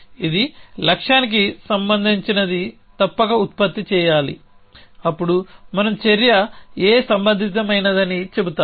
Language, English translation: Telugu, It must produce something which is relevant for the goal then we say action A is the relevant